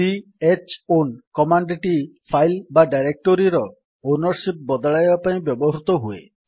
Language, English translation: Odia, c h own command is used to change the ownership of the file or directory